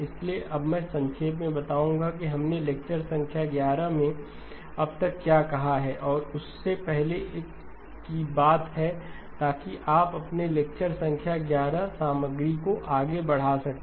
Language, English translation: Hindi, So let me just summarise what we have said so far in lecture number 11 and the one earlier than that so that we can get our lecture number 12 content moving forward